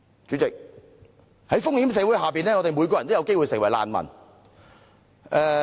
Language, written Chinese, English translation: Cantonese, 主席，在風險社會下，我們每個人都有機會成為難民。, President in a risk society there is a chance for every one of us to become a refugee